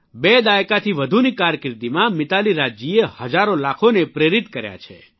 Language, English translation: Gujarati, Mitali Raj ji has inspired millions during her more than two decades long career